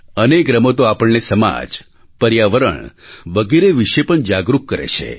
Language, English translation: Gujarati, Many games also make us aware about our society, environment and other spheres